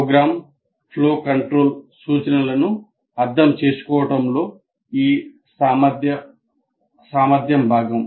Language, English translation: Telugu, This competency is part of understand program flow control instructions